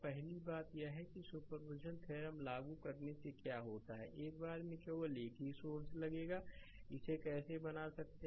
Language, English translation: Hindi, First thing is by making your applying superposition theorem, what will do is, once you will take only one source at a time look how you can make it